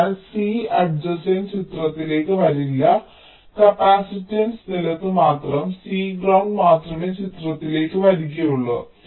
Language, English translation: Malayalam, so c adjacent will not come in to the picture, only the capacitance to ground, only c ground will come into the picture